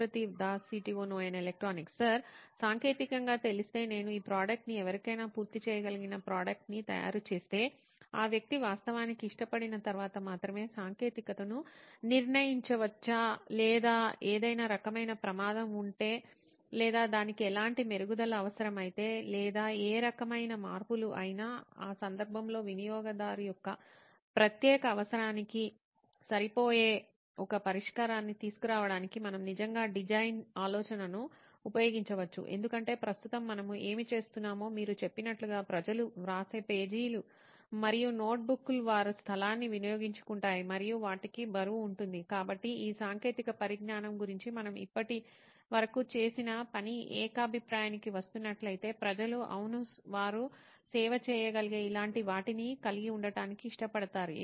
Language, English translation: Telugu, Sir, technically wise I can only say that whether this product when we make a finished showable product to someone the technology can only be determined once the person actually likes that or if there is any kind of risk or if it needs any kind of improvement or any kind of changes, in that case we can actually use design thinking to come up with a solution which might actually suit a user’s particular need because right now what we are doing is a general thing like people writes like you said pages and notebooks they consume space and they have weight, so regarding this technology if the thing that we have done till now is just coming to a consensus that people yeah they will love to have something like this which they can save